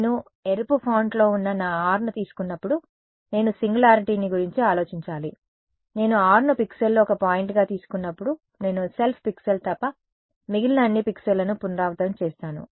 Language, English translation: Telugu, I have to worry about the singularity when I take my r which is in the red font, when I take r to be one point in the pixel, I iterate over all the other pixels all other pixel except the self pixel